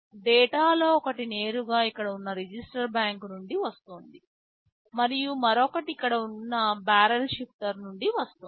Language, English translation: Telugu, OSo, one of the data is coming directly from the register bank here, and for the other one you see there is a barrel shifter sitting here